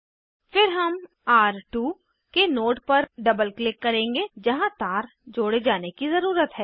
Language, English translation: Hindi, Then we will double click on node of R2 where wire needs to be connected